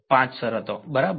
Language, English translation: Gujarati, 5 terms right